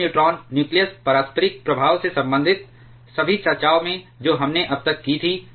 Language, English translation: Hindi, Now, in all the discussions related to the neutron nucleus interaction that we had so far